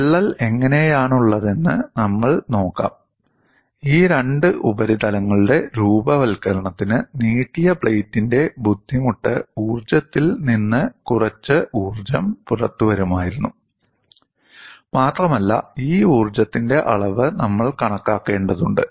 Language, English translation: Malayalam, We will just look at what way the crack is put and for the formation of these two surfaces some energy would have come out of the strain energy of the stretched plate, and we will have to calculate this quantum of energy